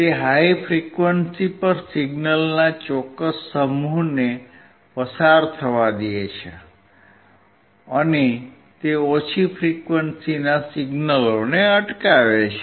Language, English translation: Gujarati, It will allow a certain set of signals at high frequency to pass and it will reject low frequency signals